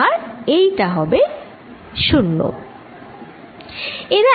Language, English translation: Bengali, so this is going to be zero